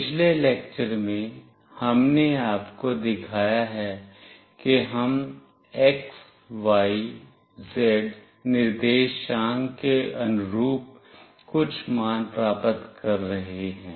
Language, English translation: Hindi, In the previous lecture, we have shown you that we are receiving some values corresponding to x, y, z coordinates